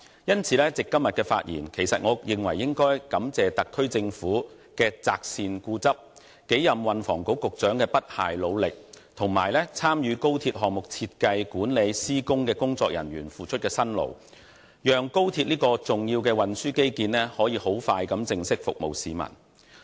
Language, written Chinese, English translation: Cantonese, 因此，藉着今天的發言，我認為應該感謝特區政府的擇善固執、數任運輸及房屋局局長的不懈努力，以及參與高鐵項目設計、管理和施工的工作人員所付出的辛勞，讓高鐵這項重要的運輸基建快將可以正式服務市民。, Hence I think I should in my speech today thank the SAR Government for its insistence on doing the right thing the several Secretaries for Transport and Housing for their unremitting efforts and the staff involved in the design management and construction of the XRL project for their dedication so that XRL an important transport infrastructure will soon be able to formally provide services to members of the public